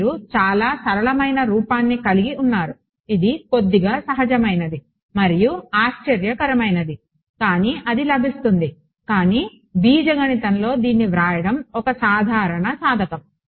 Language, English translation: Telugu, You’re left with this very simple form it is a little counter intuitive and surprising, but that is what it is ok, but it is a simple exercise in algebra to write it